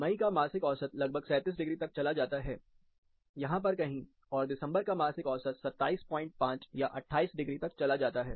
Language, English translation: Hindi, Say monthly mean in May goes around 37 degrees, somewhere here, monthly mean in December goes to around 27 and a half, 28 degrees, here